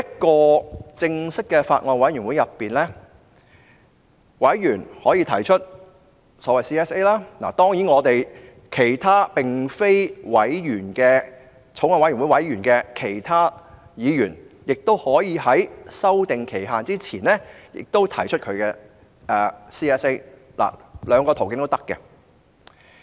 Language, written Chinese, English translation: Cantonese, 在正式的法案委員會內，委員可以提出委員會審議階段修正案，當然，並非法案委員會中的其他議員亦可在修訂期限前提出自己的 CSA， 兩個途徑皆可行。, In a formal Bills Committee Members can propose some Committee stage amendments CSAs . Of course other non - Bills Committee Members can also propose their own CSAs before the deadline . Both channels are viable